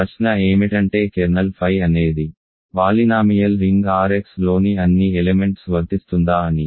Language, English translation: Telugu, So, that is what the question is kernel phi is all elements in the polynomial ring R x